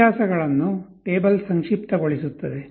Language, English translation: Kannada, The table summarizes the differences